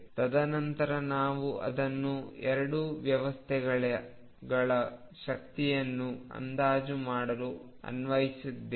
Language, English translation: Kannada, And then we applied it to estimate energies of 2 systems